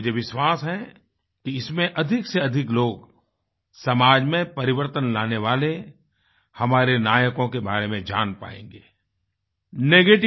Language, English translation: Hindi, I do believe that by doing so more and more people will get to know about our heroes who brought a change in society